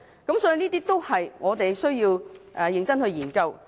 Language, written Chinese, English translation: Cantonese, 這些都是我們需要認真研究的。, We need to carefully study all of these